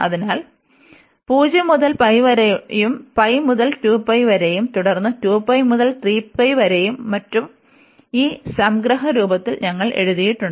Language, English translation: Malayalam, So, 0 to pi, pi to 2 pi, 2 pi to 3 pi, and so on, which we have written in this summation form